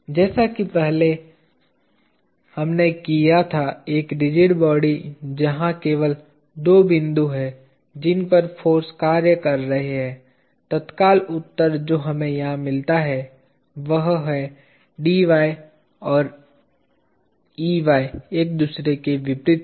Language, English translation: Hindi, Like what we did earlier, a rigid body where there are only two points at which forces are acting, immediate answer that we get here is Dy and Ey are opposite to each other